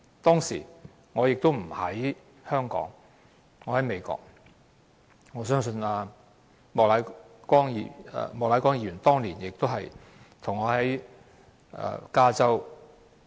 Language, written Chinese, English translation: Cantonese, 當時，我不在香港，我在美國，相信莫乃光議員當年和我一樣，都在加州。, At that time I was not in Hong Kong . Like Mr Charles Peter MOK I was in California in the United States